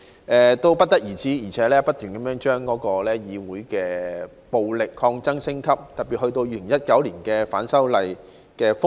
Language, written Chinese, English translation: Cantonese, 更甚的是，他們不停將議會的暴力抗爭升級，特別是及至2019年的反修例風暴。, Worse still they kept escalating their violent protests in the legislature especially during the anti - legislative amendment turmoil in 2019